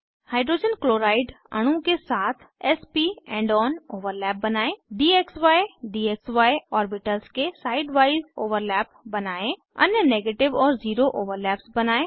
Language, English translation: Hindi, * Draw s p end on overlap with Hydrogen chloride molecule * Draw side wise overlap of dxy dxy orbitals * Draw other negative and zero overlaps